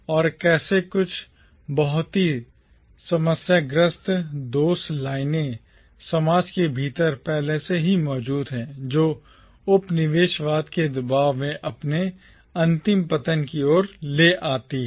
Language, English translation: Hindi, And how certain very problematic fault lines exist already within the society which leads to its ultimate downfall under the pressure of colonialism